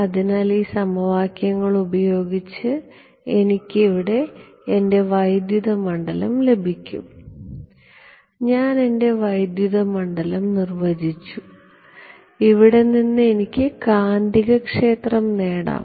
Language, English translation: Malayalam, So, using these equations, I can get my I have my electric field here, I have defined my electric field, from here I can get the magnetic field right